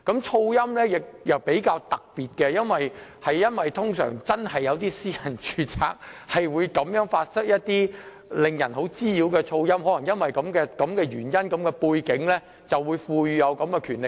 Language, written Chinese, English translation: Cantonese, 噪音方面的處理亦比較特別，因為真有些私人住宅會發出甚為滋擾的噪音，可能基於這個原因和背景，所以法例賦予這種權力。, It is because noise disturbance may be generated in some private premises therefore officers are granted such power based on this factor and background under the law